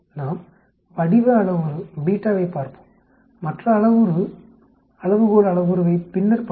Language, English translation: Tamil, Let us look at the shape parameter beta and let us look at the other parameter the scale parameter eta later